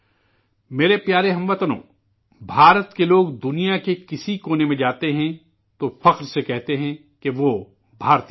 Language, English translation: Urdu, My dear countrymen, when people of India visit any corner of the world, they proudly say that they are Indians